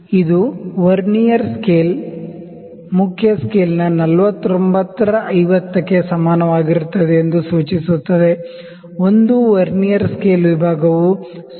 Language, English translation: Kannada, That implies Vernier scale is equal to 49 by 50 of main scale; that means, 1 Vernier scale division is equal to it is about it is 0